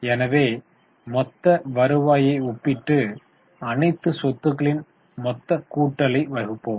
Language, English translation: Tamil, So, let us compare the total revenue and divided by total of all the assets